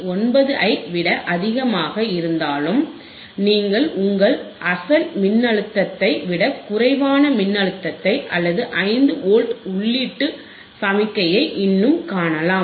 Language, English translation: Tamil, 9, you can still see voltage which is less than your original voltage or input signal which is 5 Volt